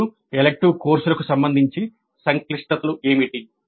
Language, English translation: Telugu, Now what are the complexities with respect to the elective courses